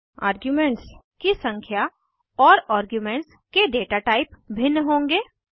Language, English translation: Hindi, The number of arguments and the data type of the arguments will be different